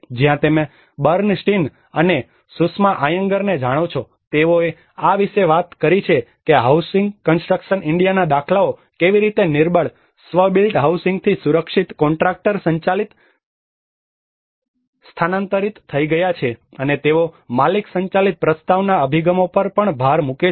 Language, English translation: Gujarati, Where you know Bernstein and Sushma Iyengar, they talked about how the paradigms from the housing construction India have shifted from the vulnerable self built housing to the safe contractor driven and they also emphasize on the owner driven prologue approaches